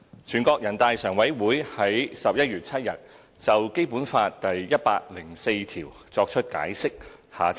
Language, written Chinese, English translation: Cantonese, "全國人大常委會於11月7日就《基本法》第一百零四條作出解釋。, On 7 November the Standing Committee of the National Peoples Congress NPCSC adopted the interpretation of Article 104 of the Basic Law